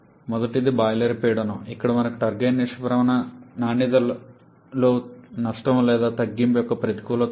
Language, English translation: Telugu, First is the boiler pressure, where we have the disadvantage of a loss or reduction in the turbine exit quality